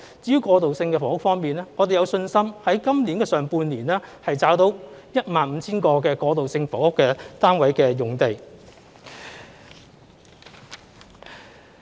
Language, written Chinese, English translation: Cantonese, 至於過渡性房屋方面，我們有信心在今年上半年，找到 15,000 個過渡性房屋單位的用地。, Concerning transitional housing we are confident that we can identify the sites for 15 000 transitional housing units in the first half of this year